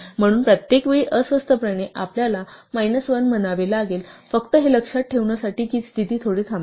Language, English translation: Marathi, So, we have to awkwardly say minus 1 every time just to remind ourselves that the position stops one short